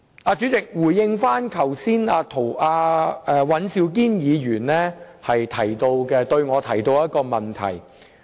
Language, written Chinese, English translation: Cantonese, 我現在回應尹兆堅議員剛才向我提出的問題。, I now respond to the question put to me by Mr Andrew WAN